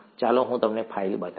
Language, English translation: Gujarati, Let me show you that file